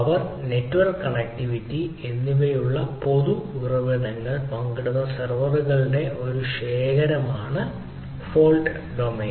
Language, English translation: Malayalam, fault domain is a collection of servers that share common resources, which are power and network connectivity